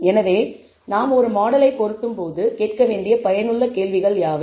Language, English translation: Tamil, So, what are the useful questions to ask when we fit a model